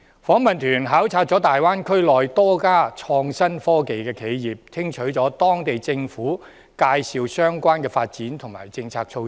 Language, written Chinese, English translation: Cantonese, 訪問團考察大灣區內多家創新科技的企業，聽取了當地政府介紹相關的發展和政策措施。, The delegation visited some innovation and technology enterprises in the Greater Bay Area to listen to local governments briefing on relevant development and policy measures